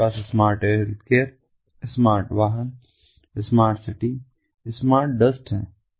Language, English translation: Hindi, we have smart healthcare, smart vehicles, smart cities and smart dusts